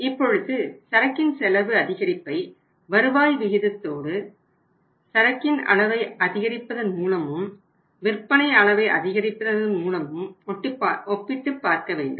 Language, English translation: Tamil, Now that increased cost of the inventory has to be compared with the rate of return available by increasing the level of inventory and by increasing the level of sales